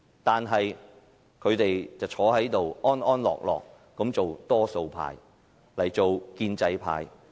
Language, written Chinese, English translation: Cantonese, 但是，他們安坐這裏做多數派，做建制派。, Nonetheless here they are sitting happily to be the majority and the pro - establishment camp